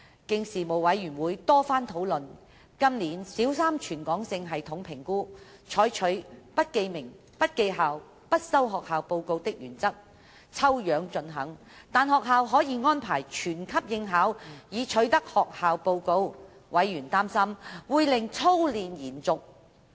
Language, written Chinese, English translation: Cantonese, 經事務委員會多番討論，今年小三全港性系統評估，採取"不記名、不記校、不收學校報告"的原則，抽樣進行，但學校可以安排全級應考，以取得學校報告，委員擔心會令操練延續。, After many rounds of discussion by the Panel Primary Three Territory - wide System Assessment P3 TSA this year would adopt a sampling approach observing the principle of no student names no school names and no collection of school reports . However schools who would like to obtain school - level reports could arrange for the participation of all of their P3 students and Members were worried that drilling practice would continue